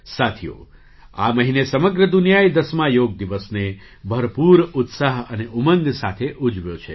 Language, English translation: Gujarati, Friends, this month the whole world celebrated the 10th Yoga Day with great enthusiasm and zeal